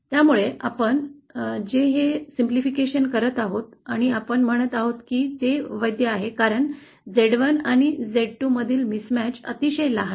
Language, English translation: Marathi, So that is the simplification we are making & we are saying that it’s valid because the mismatch between z1 & z2 is very small